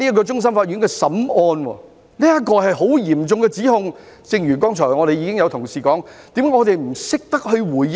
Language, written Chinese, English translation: Cantonese, 這是非常嚴重的指控，但正如剛才有同事表示，為何我們不懂回應呢？, This was a very serious accusation but as indicated by my colleague just now why did us not know how to respond to it?